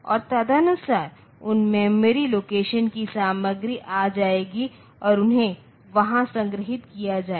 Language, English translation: Hindi, And accordingly content of those memory locations so they will come and they will be stored there